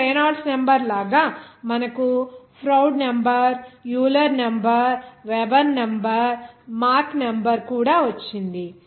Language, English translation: Telugu, Here like Reynolds number that we got even Froude number Euler number Weber number Mach number